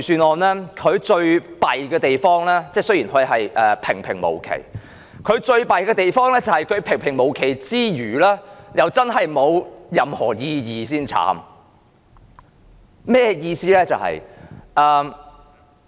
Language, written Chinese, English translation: Cantonese, 代理主席，雖然預算案平平無奇，但預算案最差的地方是，預算案除了平平無奇外，還真的是沒有任何意義，這才糟糕。, Deputy Chairman notwithstanding the mediocrity of the Budget the worst part of the Budget is its lack of significance apart from being mediocre and this is awful indeed